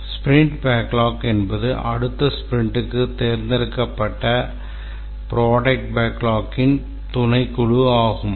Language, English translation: Tamil, The sprint backlog are the subset of the backlog items which are selected for the next sprint